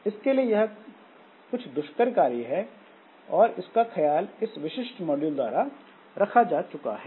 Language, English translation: Hindi, So, that is actually taken care of by in this particular module